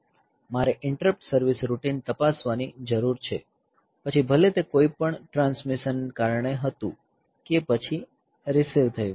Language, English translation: Gujarati, So, I need to check in the interrupts service routine, whether it was due to some transmission or receive